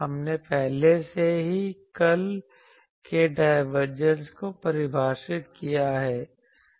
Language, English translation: Hindi, We have taken defined already the divergence of curl